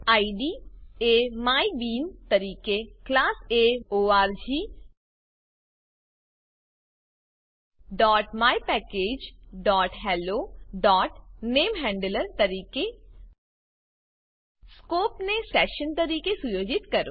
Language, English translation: Gujarati, Specify the values as The ID as mybean The Class as org.mypackage.hello.NameHandler Set the Scope as session And click on OK